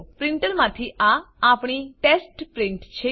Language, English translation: Gujarati, Here is our test print from our printer